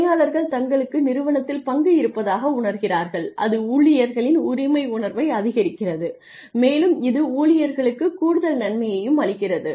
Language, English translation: Tamil, Employees feel that they have a stake in the organization and it increases the ownership the feeling of ownership by the employees and it also gives the employees additional benefit